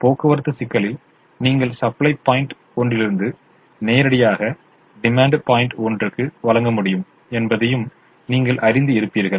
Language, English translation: Tamil, you will also observe that in a transportation problem, while you can supply directly from supply point one to demand point one, you don't transport them from one supply point to another or from one demand point to another